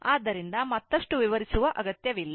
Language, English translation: Kannada, So, no need to explain further